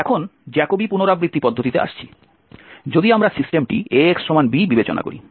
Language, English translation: Bengali, Now coming to the Jacobi iteration method, if we consider the system Ax is equal to b